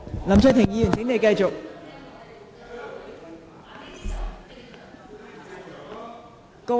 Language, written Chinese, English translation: Cantonese, 林卓廷議員，請繼續發言。, Mr LAM Cheuk - ting please continue